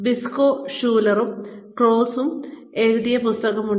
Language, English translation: Malayalam, There is this book by, Briscoe Schuler and Claus